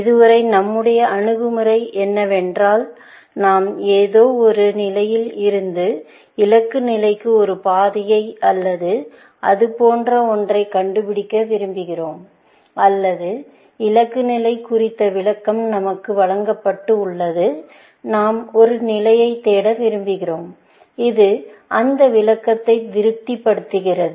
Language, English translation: Tamil, So far, our approach has been that we are in some given state, and we want to find a path to the goal state or something like that, or we are given a description of the goal state and we want to search for a state, which satisfies that description